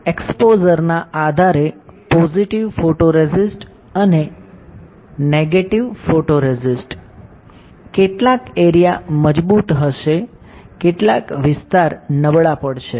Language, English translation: Gujarati, So, based on the exposure to positive and negative photoresist, some area will be stronger, some area will be weaker